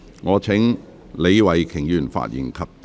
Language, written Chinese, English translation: Cantonese, 我請李慧琼議員發言及動議議案。, I call upon Ms Starry LEE to speak and move the motion